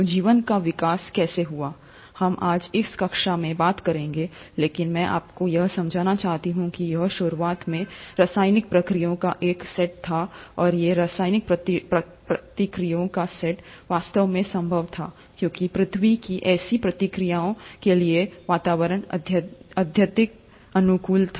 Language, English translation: Hindi, So, how did the life evolve is something that we’ll talk in this class today, but I want you to understand that a lot of this was initially a set of chemical reactions, and these set of chemical reactions were actually possible because the earth’s atmosphere was highly conducive for such reactions to happen